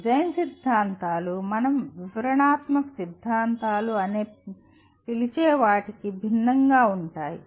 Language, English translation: Telugu, Design theories are different from what we call descriptive theories